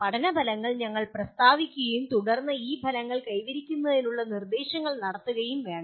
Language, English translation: Malayalam, We have to state the learning outcomes and then conduct the instruction to attain these outcomes